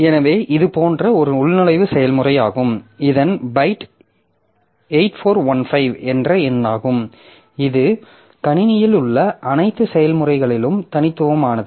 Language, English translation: Tamil, So, this is one such login process whose PID is a number 8415 that is unique across all the processes that we have in the system